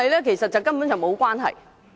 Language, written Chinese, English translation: Cantonese, 其實，根本是沒有關係。, Indeed it is not related at all